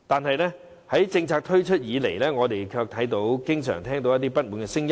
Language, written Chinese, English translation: Cantonese, 可是，自政策推出以來，我們卻經常聽到不滿的聲音。, However since the introduction of the policy we have heard a lot of complaints